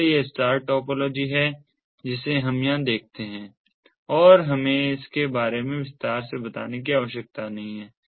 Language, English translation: Hindi, so this is the star topology that we see over here and we do not need to elaborate on this